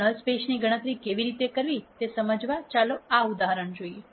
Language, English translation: Gujarati, So, to understand how to calculate the null space let us look at this example